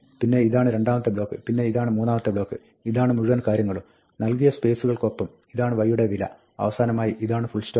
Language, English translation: Malayalam, Then, this is the third block, which is this whole thing, with the spaces given and then, this is the value of y and finally, this is the full stop